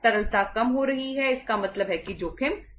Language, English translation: Hindi, Liquidity is going down it means the risk is increasing